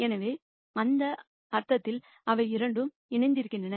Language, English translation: Tamil, So, in that sense they are both coupled